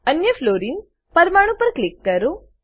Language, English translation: Gujarati, Click on the other Fluorine atom